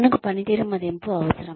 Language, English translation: Telugu, We need a performance appraisal